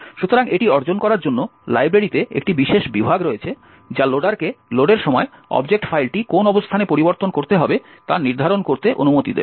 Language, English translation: Bengali, So, in order to achieve this there is special section in the library which will permit the loader to determine which locations the object file need to be modified at the load time